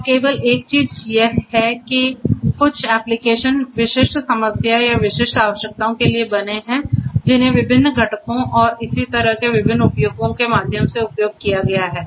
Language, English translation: Hindi, And the only thing is that the there is some application specific problem specific requirements which have been implemented through the different use of different components and so on